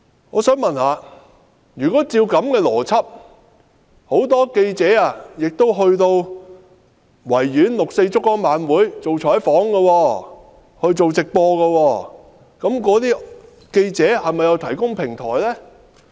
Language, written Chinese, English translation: Cantonese, 我想問，如果依照這樣的邏輯，很多記者到維園六四燭光晚會採訪和直播，這又是否等於記者提供平台？, I would like to ask According to this logic is the extensive coverage and live broadcast of the 4 June candlelight vigil held at the Victoria Park tantamount to the provision of platforms by journalists?